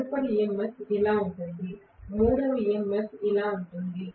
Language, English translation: Telugu, The next EMF is like this; the third EMF is like this